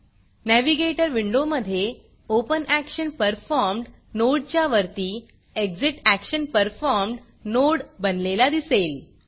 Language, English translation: Marathi, Here, you can see the ExitActionPerformed node appearing above the OpenActionPerformed node